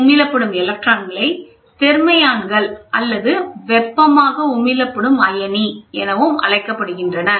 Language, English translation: Tamil, The emitted electrons are known as thermions thermally emitted ion thermion